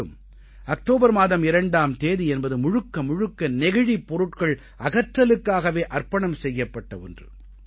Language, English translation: Tamil, And 2nd October as a day has been totally dedicated to riddance from plastic